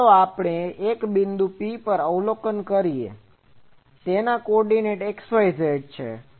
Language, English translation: Gujarati, Then and let us say that I am observing at a point P, whose coordinate is x y z